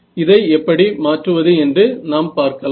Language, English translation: Tamil, So, let us see how we can modify this